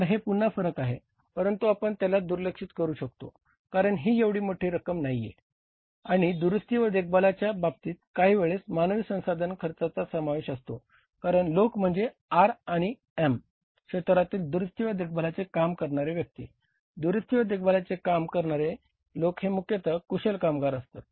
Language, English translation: Marathi, So, this is again the variance part can be ignored because it is not a very high amount and in case of the repair and maintenance also some time to some extent human resource cost is involved because people also means work in the R&M area, repair and maintenance area and they are largely skilled labour